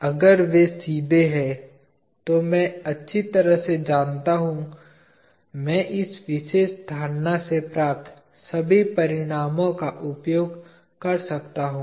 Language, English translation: Hindi, If they are straight I know very well, I can use all the results that I have from this particular notion